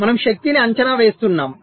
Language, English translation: Telugu, so we are estimating power